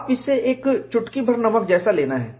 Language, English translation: Hindi, You have to take it with a pinch of salt